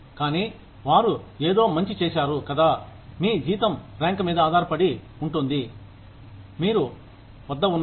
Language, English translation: Telugu, They have done something good or not, your salary depends on the rank, you are at